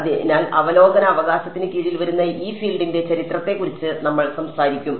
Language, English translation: Malayalam, So, we will talk about the history of this field which comes under the overview right